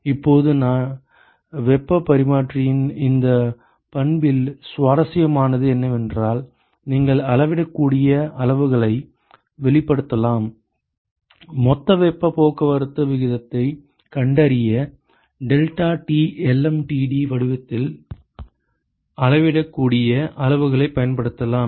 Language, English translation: Tamil, Now, what is interesting about this property of heat exchanger where, you can express the measurable quantities, you can use the measurable quantities in the form of deltaTlmtd in order to find the total heat transport rate